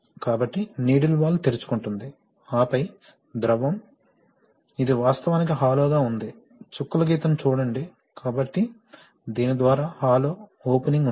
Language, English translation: Telugu, So, the needle valve will open, and then the fluid, this is actually a hollow, see the dotted lines, so there is a hollow opening through this